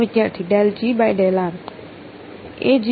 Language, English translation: Gujarati, Del G by del r